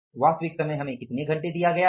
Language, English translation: Hindi, So actual time is how many hours are given to us here